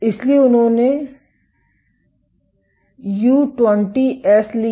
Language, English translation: Hindi, So, they took U20S